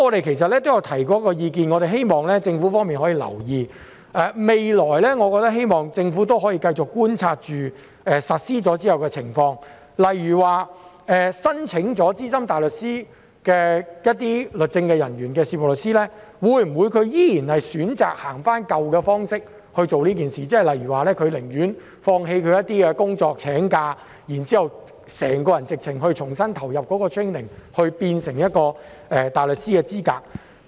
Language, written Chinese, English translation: Cantonese, 其實我們曾提出意見，希望政府可以留意，我希望政府未來可以繼續觀察實施後的情況，例如任職律政人員的事務律師在申請成為資深大律師後，會否選擇沿用舊有方式來處理此事，例如他寧願放棄一些工作或請假，重新投入 training， 然後取得大律師的資格。, Actually we have raised a view to which I hope the Government will pay attention . I hope that after the implementation the Government will continue to observe the situation such as whether a solicitor working as a legal officer will choose to handle this matter under the existing approach after becoming SC . For example he would rather give up some jobs or take leave to receive training afresh and then obtain the qualification of a barrister